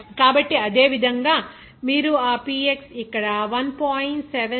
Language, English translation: Telugu, So, similarly you can get that Px as 1